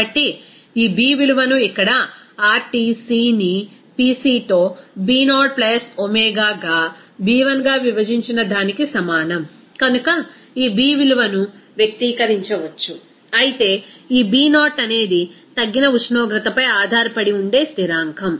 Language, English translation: Telugu, So, this B value can be expressed as B is equal to here RTc divided by Pc into B0 + omega into B1, whereas this B0 is a constant that also depending on that reduced temperature